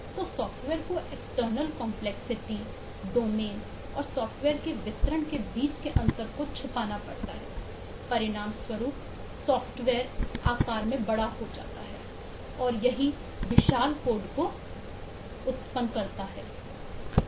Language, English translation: Hindi, so the software has to hide the external complexity, the gap between the domain and the instrument of delivery in the software, which results in the software is getting large in size, huge code basis